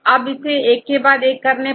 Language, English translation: Hindi, Than doing one by one